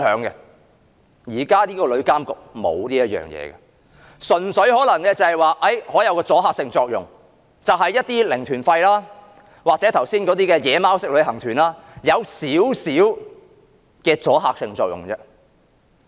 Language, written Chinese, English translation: Cantonese, 日後旅監局的職能無法處理這些問題，可能只是對那些"零團費"或剛才所說的"野馬"旅行團，有少許阻嚇作用。, The future TIA fails to solve these problems it can at most have a little deterrent effect on zero - fare tour groups or unauthorized tour groups as mentioned earlier